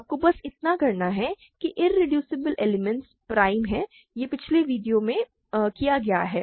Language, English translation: Hindi, All you need to do is irreducible elements are prime all this was done in the previous videos